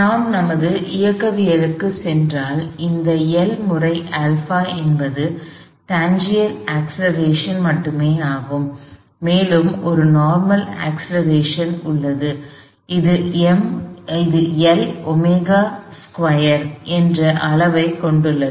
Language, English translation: Tamil, If we go back to our kinematics, this L times alpha is simply only the tangential acceleration, this is also a normal acceleration, which has magnitude L omega squared